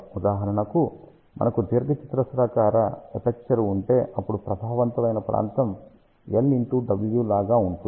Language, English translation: Telugu, For example, if we have a rectangular aperture, then area effective will be something like L multiplied W